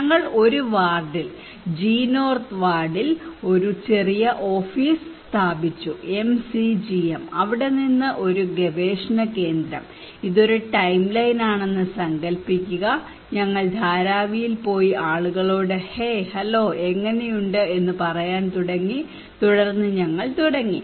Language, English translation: Malayalam, We set up a small office in a ward G North ward, MCGM, a research hub from there imagine this is a timeline, we started to say used to go to Dharavi and say people hey hello how are you, and then we started to build kind of rapport with the people